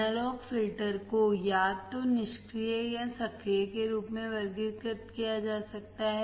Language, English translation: Hindi, Analog filters may be classified either as passive or active